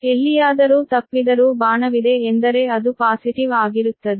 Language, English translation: Kannada, but if arrow is there, means it is a positive